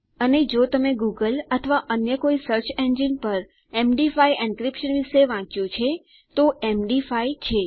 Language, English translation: Gujarati, And if you read up on Google or any search engine about MD5 encryption thats M D 5